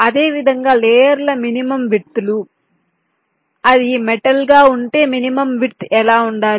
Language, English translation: Telugu, similarly, minimum widths of the layers: if it is metal, what should be the minimum width